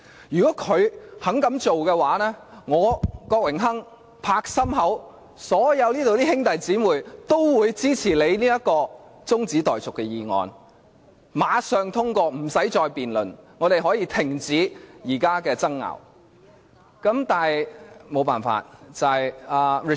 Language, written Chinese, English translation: Cantonese, 如果他們肯這樣做的話，我，郭榮鏗議員可以保證，這裏所有兄弟姊妹都會支持你這項中止待續議案，馬上通過，不需要再辯論，現在的爭拗可以立即停止。, If they do this I Dennis KWOK can guarantee that all my brothers and sisters over here will support your adjournment motion without delay or debate . The present dispute can also come to an end immediately